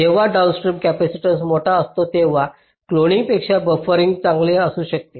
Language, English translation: Marathi, when the downstream capacitance is large, buffering can be better than cloning